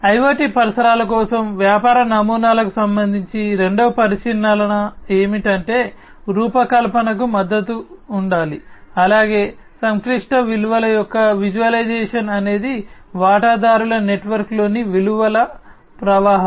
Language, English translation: Telugu, The second consideration with respect to the business models for IoT environments is that there should be support for design as well as the visualization of complex values is value streams within the stakeholder network